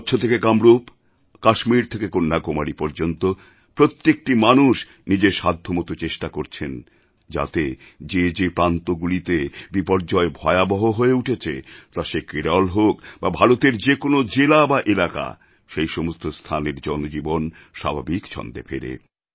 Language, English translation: Bengali, From Kutch to Kamrup, from Kashmir to Kanyakumari, everyone is endeavoring to contribute in some way or the other so that wherever a disaster strikes, be it Kerala or any other part of India, human life returns to normalcy